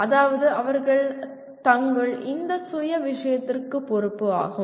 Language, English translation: Tamil, That means they are responsible for their own thing